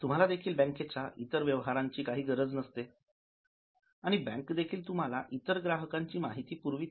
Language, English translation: Marathi, You are not interested in other transactions of the bank, neither bank is authorized to pass you on the information of other customers